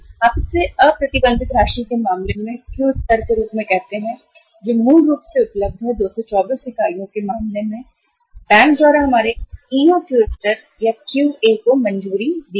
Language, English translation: Hindi, You call it as Q level in case of the unrestricted amount available which is say originally sanctioned by the bank our EOQ level or the Q A, in case of the A was 224 units